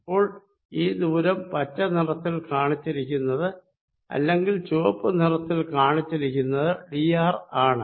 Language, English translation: Malayalam, so this distance shown by green or shown by red, is d